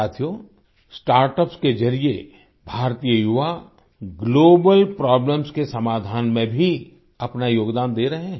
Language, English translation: Hindi, Indian youth are also contributing to the solution of global problems through startups